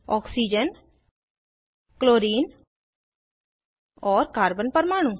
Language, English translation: Hindi, Oxygen, chlorine and the carbon atom